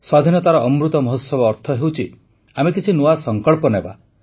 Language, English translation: Odia, And the Amrit Mahotsav of our freedom implies that we make new resolves…